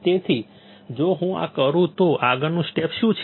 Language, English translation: Gujarati, So, if I do this what is the next step